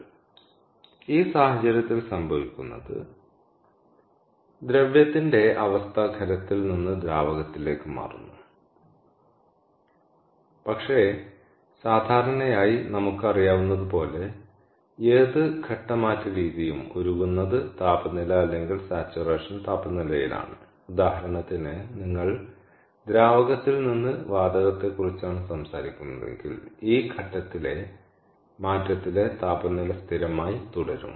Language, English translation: Malayalam, so in this case, what happens is the state of the matter changes from solid to liquid, but typically, as we know that any phase change method happens ideally at its melting temperature or saturation temperature, if you are talking about liquid to gas, for example then therefore the temperature during this change of phase remains constant